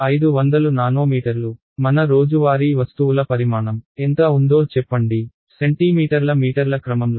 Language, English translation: Telugu, 500 nanometers, let us say what is the size of our day to day objects; on the order of centimeters meters right